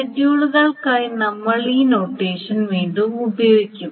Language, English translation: Malayalam, This is the notation that we will be using again and again for schedules